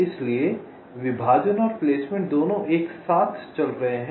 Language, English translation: Hindi, so partitioning in placement are going hand in hand